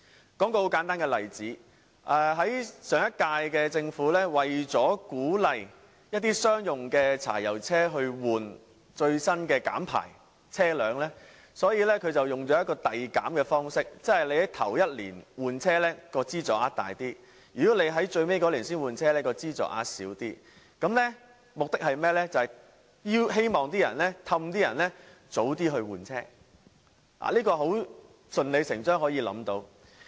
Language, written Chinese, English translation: Cantonese, 我舉一個很簡單的例子，上屆政府為了鼓勵將商用柴油汽車更換最新的減排車輛，所以使用了遞減的方式，即首年換車的資助額較大，如果在最後一年才換車，資助額便會較少，目的是希望誘使車主提早換車，這是順理成章可以想象得到的。, What is the problem with progressive reduction? . Let me cite a very simple example . To encourage switching diesel commercial vehicles to low - emission vehicles the previous - term Government reduced progressively the grant level year on year meaning the grant level would be higher if a vehicle was replaced in the first year; the grant level would be lower if a vehicle was replaced in the final year